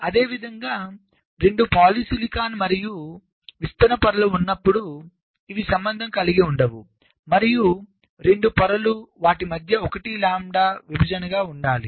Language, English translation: Telugu, similarly, when there are two polysilicon and diffusion layers, these are not related and the two layers, they must be a one lambda separation between them